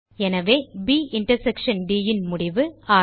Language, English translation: Tamil, So the result of B intersection D is 6